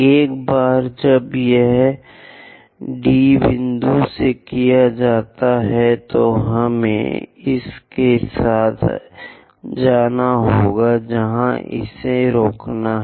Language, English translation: Hindi, Once it is done from D point, we have to go along that stop it where it is going to intersect 2